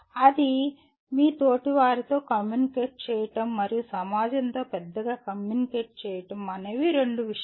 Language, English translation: Telugu, That is communicating with your peers and communicating with society at large